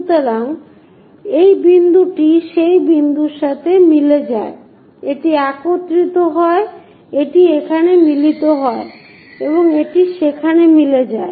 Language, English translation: Bengali, So, this point coincides with that point, this one coincides that this one coincides there, and this one coincides there